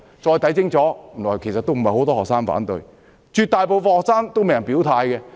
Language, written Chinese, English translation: Cantonese, 再看清楚，原來不是很多學生反對，絕大部分學生都沒有表態。, Upon taking a closer look it turned out that not many students opposed the Bill after all . The majority of the students have not indicated their stand